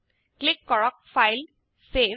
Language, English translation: Assamese, Click on FilegtSave